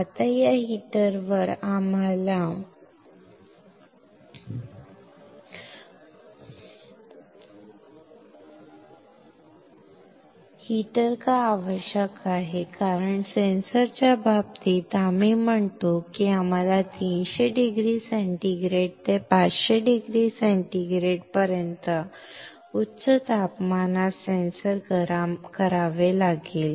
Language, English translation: Marathi, Now, on this heater; why we require heater, because in case of sensor we say that we had to heat the sensor at high temperature from 300 degree centigrade to 500 degree centigrade